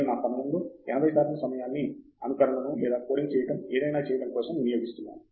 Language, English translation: Telugu, 80 percent of the time I am doing either coding up a simulation or doing something